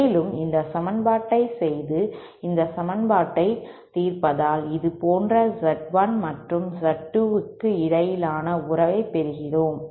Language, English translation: Tamil, And on performing this equation on solving this equation we get a relationship between Z1 and Z 2 like this